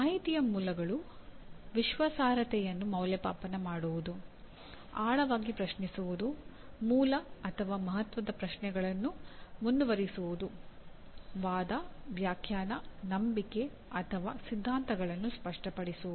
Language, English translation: Kannada, Evaluating the credibility of sources of information; questioning deeply raising and pursuing root or significant questions; clarifying arguments, interpretations, beliefs or theories